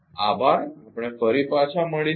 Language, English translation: Gujarati, Thank you we will be